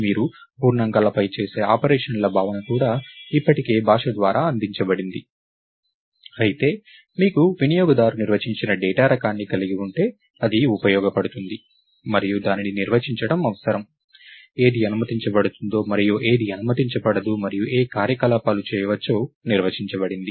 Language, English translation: Telugu, the notion of operations that you do on integers and so, on also is already given by the language, whereas, if you have a user defined data type, then it becomes useful and necessary to define, what is allowed and what is not allowed, and to define what operations can be done